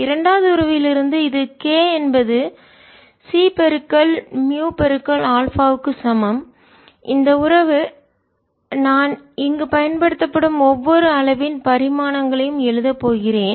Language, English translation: Tamil, from the second relation, which is k is equal to c, mu, info, this relation i am going to write ah, the dimensions of every quantities used here